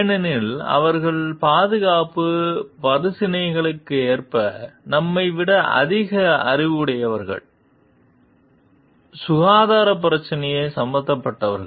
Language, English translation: Tamil, Because they are more expert, more knowledgeable than us as per the safety issues, health issues are concerned